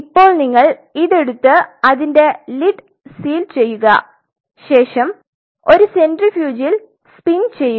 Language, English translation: Malayalam, Now, you take this you seal the lead of it and you spin it in a centrifuge